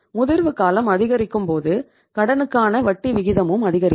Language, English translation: Tamil, Longer the maturity period, you have to pay the higher rate of interest